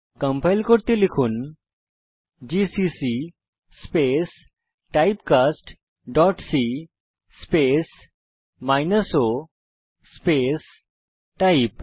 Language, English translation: Bengali, To compile, type gcc space typecast dot c space minus o space type.Press Enter